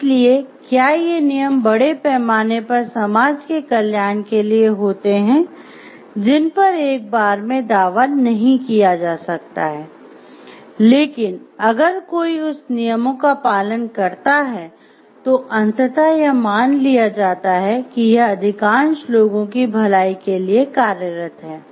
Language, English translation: Hindi, So, whether these rules are again bringing leading to the wellbeing to the society at large at all situations that cannot be claimed in one go, but if everybody follows that rules it is assume the everybody is following then ultimately it is leading to the good of most of the people